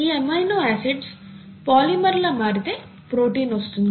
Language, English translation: Telugu, And you have polymer of these amino acids, then you get a protein